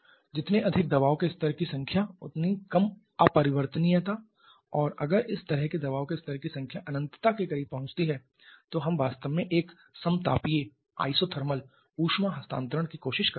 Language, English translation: Hindi, More number of pressure levels less is the irreversibility and we are up to and if the number of such pressure levels approaches infinity we are actually of trying to approach an isothermal heat transfer